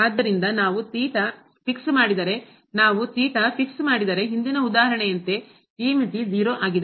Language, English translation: Kannada, So, if we fix theta, if we fix theta, then again like in the previous example this limit is 0